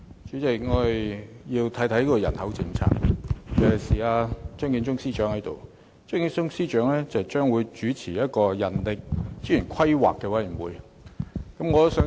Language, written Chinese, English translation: Cantonese, 主席，我要談談人口政策，尤其趁張建宗司長在席，他將主持人力資源規劃委員會。, President I would like to talk about the population policy while Chief Secretary Matthew CHEUNG who is going to chair the Commission for the Planning of Human Resources is present now